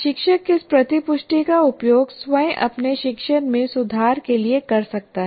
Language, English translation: Hindi, And also what happens, the teacher can use this feedback himself or herself to improve their own teaching